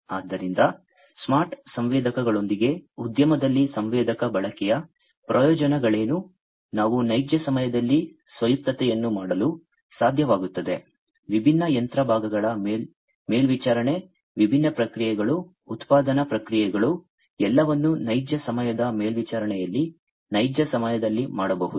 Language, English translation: Kannada, So, what are the benefits of sensor usage in the industry with smart sensors we would be able to do real time autonomous, monitoring of different machine parts, different processes, manufacturing processes, everything can be done in real time monitoring, can be done in real time